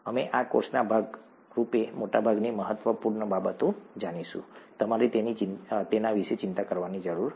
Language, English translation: Gujarati, We will know most of the important things as a part of this course, you don’t have to worry about that